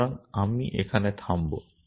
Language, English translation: Bengali, So, I will stop here